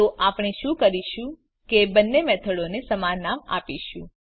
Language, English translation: Gujarati, So what we do is give same name to both the methods